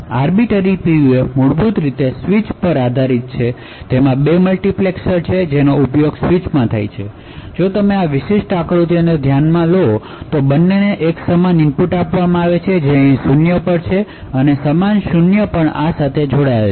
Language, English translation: Gujarati, So an Arbiter PUF fundamentally is based on a switch, so it has 2 multiplexers which is used in the switch if you consider this particular figure, both are given the same input that is 0 over here and the same 0 is connected to this as well